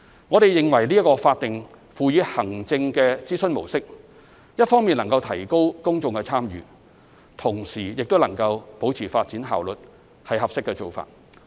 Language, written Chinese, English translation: Cantonese, 我們認為這種法定輔以行政的諮詢模式，一方面能夠提高公眾參與，同時亦能保持發展效率，是合適的做法。, We consider that this mode of consultation which is a combination of statutory and administrative measures is an appropriate method as it can enhance public engagement on the one hand and uphold development efficiency on the other